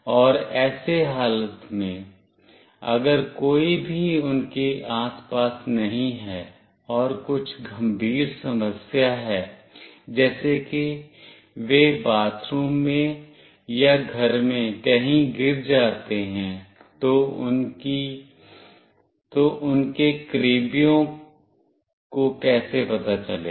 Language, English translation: Hindi, And under such condition, if nobody is around them and there is some serious issue like they fall down in bathroom or in house only, then how do their near ones will come to know